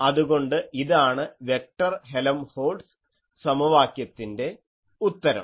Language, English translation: Malayalam, So, this is a solution of the vector Helmholtz equation